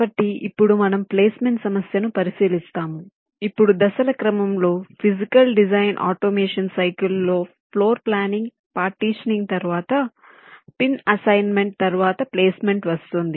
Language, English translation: Telugu, now, in the sequence of steps in the physical design automation cycle, partitioning is followed by floor planning with pin assignment and then comes placement